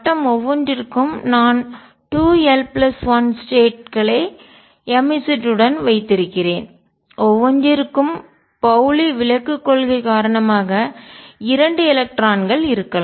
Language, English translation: Tamil, And for each I have 2 l plus 1 states with m Z, and for each there can be two electrons due to Pauli exclusion principle